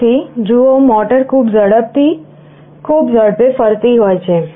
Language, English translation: Gujarati, So, see the motor is rotating at a very high speed, high speed